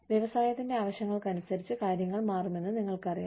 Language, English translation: Malayalam, You know, things change with the, needs of the industry